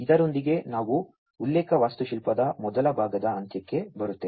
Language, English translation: Kannada, So, with this we come to the end of the first part of the reference architecture